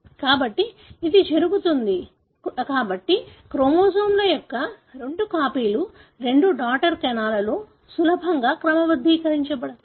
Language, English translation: Telugu, So this happens, therefore the two copies of the chromosomes can easily be sorted out into the two daughter cells